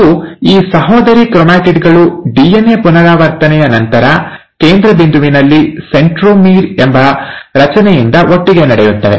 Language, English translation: Kannada, And, these sister chromatids, right after DNA replication will be held together at a central point by a structure called as ‘centromere’